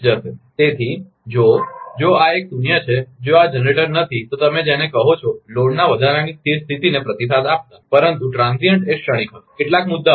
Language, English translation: Gujarati, So, if if this is a zero, if this generator is not, you are what you call responding to the steady state to the increase of the load, but transient will be transient, some issues